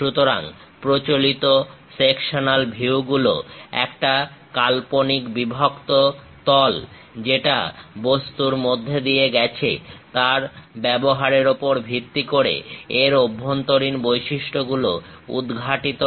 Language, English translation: Bengali, So, traditional section views are based on the use of an imaginary cut plane that pass through the object to reveal interior features